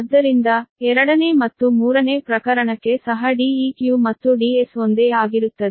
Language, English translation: Kannada, therefore, for the second and third case also, d e, q and d s will remain same right